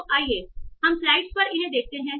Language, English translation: Hindi, So let's see these on slides